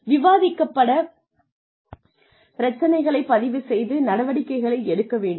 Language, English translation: Tamil, Record the issues discussed, and the action taken